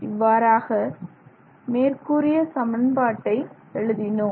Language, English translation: Tamil, So, so this is how we have got this equation